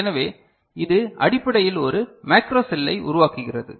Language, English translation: Tamil, So, this is essentially forms a macro cell right, is it ok